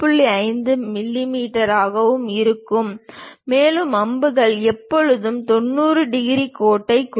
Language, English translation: Tamil, 5 mm; and the arrows always be representing 90 degrees line